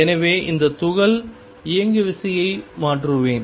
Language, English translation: Tamil, So, I will change the momentum of this particle